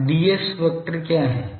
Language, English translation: Hindi, Now, what is ds vector